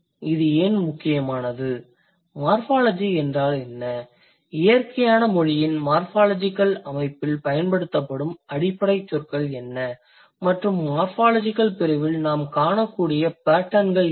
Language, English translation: Tamil, What are the basic terms used in the morphology in the morphological system of natural language and typologically what are the possible patterns that we see in the morphology section